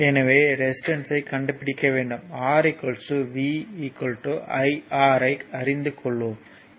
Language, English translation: Tamil, So, find it is resistance so, we know R is equal to v is equal to iR